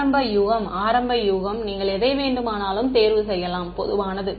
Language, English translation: Tamil, Initial guess initial guess, you can choose anything you want I am just telling you what is common